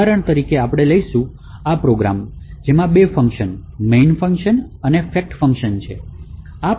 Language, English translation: Gujarati, So we will take as an example, this particular program, which comprises of two functions, a main function and fact function